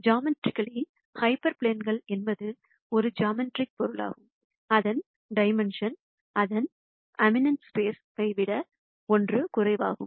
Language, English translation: Tamil, Geometrically hyper plane is a geometric entity whose dimension is 1 less that than that of its ambient space